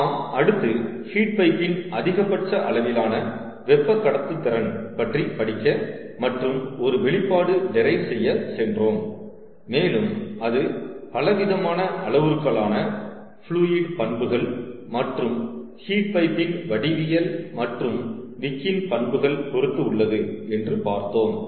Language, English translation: Tamil, we then went over to study and derive an expression that will help us quantify the maximum amount of heat transport capability of a heat pipe, and we saw that it depends on a variety of parameters, including fluid properties as well as geometry of the heat pipe, as well as the wick properties